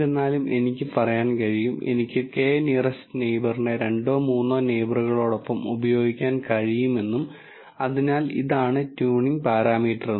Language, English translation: Malayalam, Whereas, I could say, I will use a k nearest neighbor with two neighbors three neighbors and so on, so that is a tuning parameter